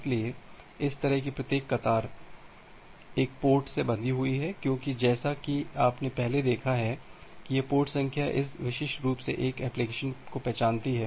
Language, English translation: Hindi, So, every such queue is bounded to it one port because as you have seen earlier that this port number it uniquely identifies an application